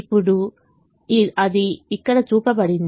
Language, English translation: Telugu, now that is shown here